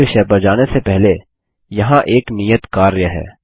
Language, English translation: Hindi, Before moving on to the next topic, here is an assignment